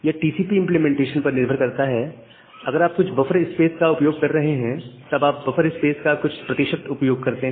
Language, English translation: Hindi, That depends on the TCP implementation that if you are using some buffer space, then you use certain percentage of the buffer space